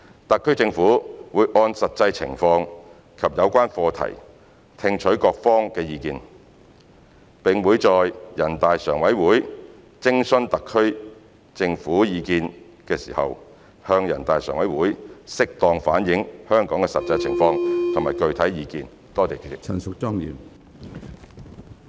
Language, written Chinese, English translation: Cantonese, 特區政府會按實際情況及有關課題聽取各方意見，並會在人大常委會徵詢特區政府意見時向人大常委會適當反映香港的實際情況及具體意見。, The HKSAR Government will listen to the views of different sectors having regard to actual circumstances and the subject matter concerned and will duly reflect the actual situation in Hong Kong and specific views when being consulted by NPCSC